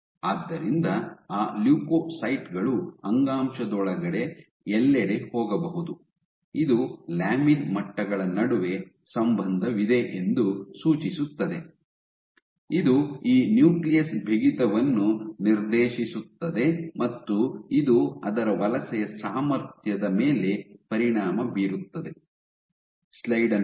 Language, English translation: Kannada, So, that leukocytes can go all over the place within the tissue, so this suggests that there is a relationship between lamin levels, which dictates this nucleus stiffness and this impacts its migration ability ok